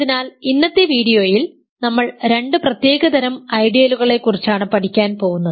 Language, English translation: Malayalam, So, in today’s video we are going to learn about two very special kinds of ideals